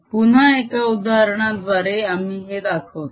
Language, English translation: Marathi, again, will show it through an example